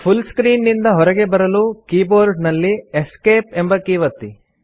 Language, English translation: Kannada, In order to exit the full screen mode, press the Escape key on the keyboard